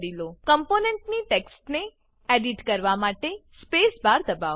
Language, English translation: Gujarati, Press the Space bar to edit the text of the component